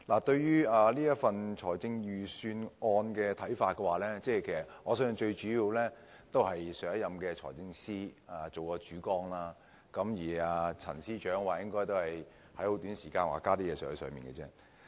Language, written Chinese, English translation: Cantonese, 關於這份財政預算案，我相信主要是上任財政司司長訂下了主綱，而陳司長則應該是在很短時間內增加了一些內容。, With regard to this Budget I think the major plan has been laid down by the former Financial Secretary whereas the incumbent Financial Secretary Paul CHAN has made some additions within a short period of time